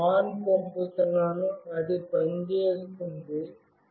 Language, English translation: Telugu, I am sending ON, it is working